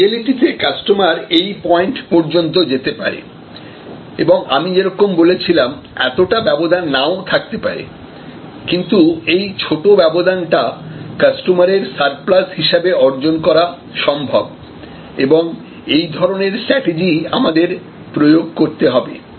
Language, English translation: Bengali, And in reality the customer may go up to this point and so as I said this gap, may not be achievable, but smaller gap in terms of consumer surplus perception may be possible to achieve and this is the game or this is the strategy that we have to deploy